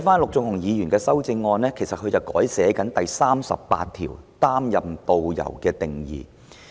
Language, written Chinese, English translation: Cantonese, 陸頌雄議員在其修正案中，修訂《條例草案》第38條對導遊的定義。, Mr LUK Chung - hung has proposed to amend the definition of tourist guide in clause 38 of the Bill